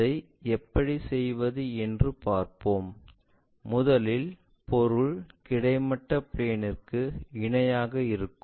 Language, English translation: Tamil, Let us see how to do that first the object is parallel to our horizontal plane